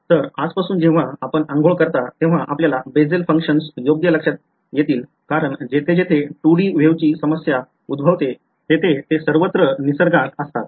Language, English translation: Marathi, So, from today whenever you have a bath you will remember Bessel functions right, because they are everywhere in nature wherever there is a 2 D kind of a wave problem